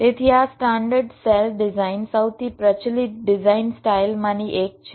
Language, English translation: Gujarati, so this standard cell design is one of the most prevalent design style